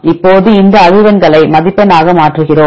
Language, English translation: Tamil, Now we convert these frequencies into score